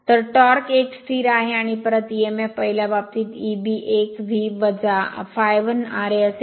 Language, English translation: Marathi, So, torque is a constant and back Emf in the first case E b 1 will be V minus I a 1 r a